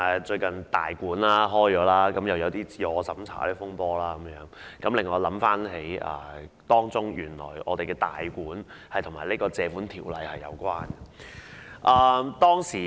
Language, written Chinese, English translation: Cantonese, 最近"大館"開幕，發生了"自我審查"風波，令我想起原來"大館"是與《條例》有關的。, The row over Tai Kwuns self - censorship following its recent inauguration has reminded me that it actually has got something to do with the Ordinance